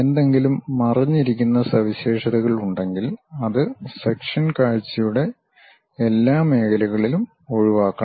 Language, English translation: Malayalam, If there are any hidden features, that should be omitted in all areas of sectional view